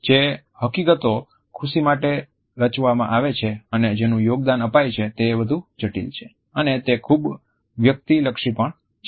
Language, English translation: Gujarati, Realities of what truly constitutes and contributes to happiness are much more complex and at the same time they are also highly subjective